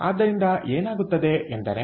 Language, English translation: Kannada, so therefore, what happens